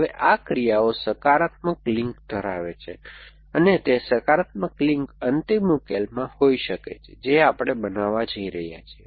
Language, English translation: Gujarati, Now, hobbies these have positive links coming from actions and those positive links could be in the final solution that we have going to construct